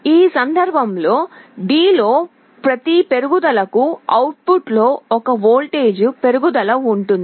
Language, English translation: Telugu, In this case for every increase in D, there is a 1 volt increase in the output